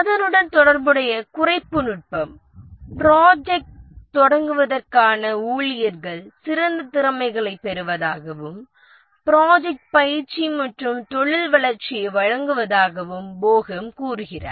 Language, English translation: Tamil, And Bohem suggests the corresponding reduction technique says that staff to start with the project get the top talent and also in the areas of the project provide training and career development